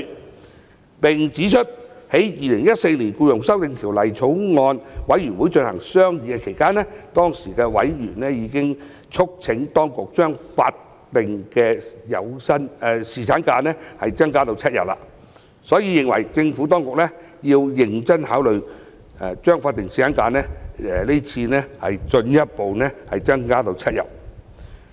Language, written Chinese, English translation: Cantonese, 他們並指出，在《2014年僱傭條例草案》委員會進行商議期間，當時的委員已經促請當局將法定侍產假日數增至7天，所以認為政府當局要認真考慮將是次法定侍產假日數進一步增加至7天。, They pointed out that during the deliberations of the former Bills Committee on the Employment Amendment Bill 2014 members then had already urged for extending the duration of statutory paternity leave to seven days . They therefore took the view that the Administration should seriously consider further extending statutory paternity leave to seven days this time